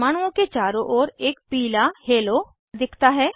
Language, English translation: Hindi, A yellow halo appears around the atoms